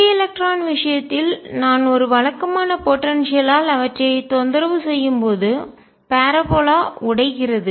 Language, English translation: Tamil, In the free electron case when I disturb them by a regular potential the parabola breaks up